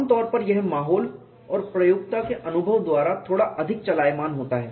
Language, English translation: Hindi, Generally it is slightly more governed by the environment and the experience of the user